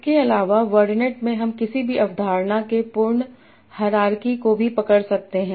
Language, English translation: Hindi, Further, in word net, you can also capture what is the complete hierarchy of a given concept